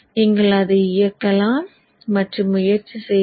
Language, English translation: Tamil, You can execute it and then try it out